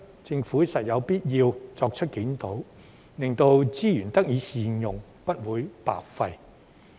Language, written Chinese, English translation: Cantonese, 政府實有必要作出檢討，令資源得以善用，不會白費。, It is necessary for the Government to conduct a review so that resources can be put to good use and will not be wasted